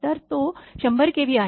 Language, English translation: Marathi, So, it is 100 kV